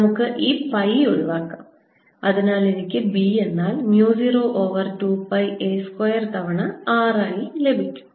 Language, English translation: Malayalam, let's cancel this pi and therefore i get b to be mu zero over two pi a square times r